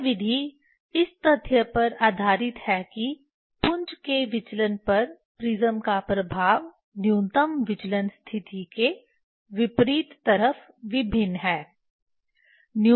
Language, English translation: Hindi, This method is based on the fact that the effect of prism on divergence of the beam is different on opposite side of the minimum deviation position